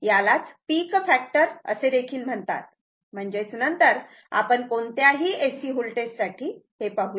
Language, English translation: Marathi, This is called peak factor; that means, later we will see that any any any AC voltage